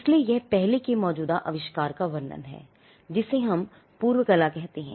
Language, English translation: Hindi, So, that is a description to an earlier existing invention, what we call a prior art